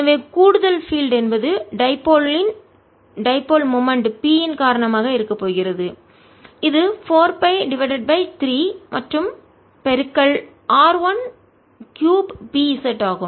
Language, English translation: Tamil, so additional field is going to be due to dipole of dipole, of dipole moment p, which is four pi by three r, one cubed p, z in the opposite direction of z